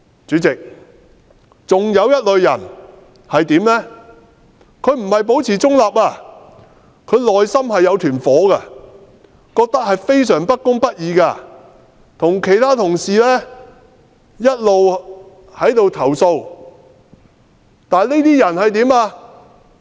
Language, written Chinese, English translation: Cantonese, 主席，還有一類人，他不是保持中立，他內心有一團火，與其他同事一起投訴他認為非常不公不義的事，但他後來怎樣？, President there is another type of people who do not maintain a neutral stance . Such people are passionate about life and they have complained with his colleagues against some very unjust matters before . But what happened to them afterwards?